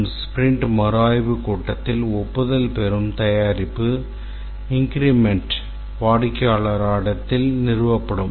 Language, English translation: Tamil, And this is reviewed in a sprint review meeting and the product increment that gets approved in the sprint review meeting is installed at the client site